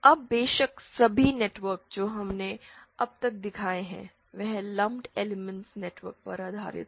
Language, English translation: Hindi, Now of course all the networks that we have showed so far are based on lumped element networks